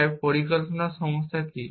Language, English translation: Bengali, So, what is the planning problem